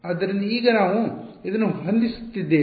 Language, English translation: Kannada, So, now, this is what we are setting